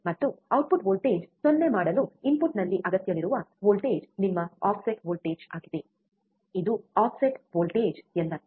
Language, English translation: Kannada, And the voltage required at the input to make output voltage 0 is your offset voltage, this is what offset voltage means